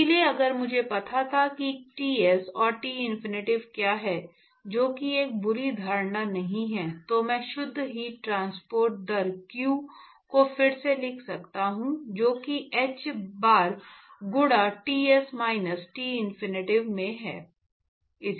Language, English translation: Hindi, So, if I assume that I knew what Ts and Tinfinity are, which is not a bad assumption to make, then I can rewrite the net heat transport rate q, that is equal to h bar into a into Ts minus Tinfinity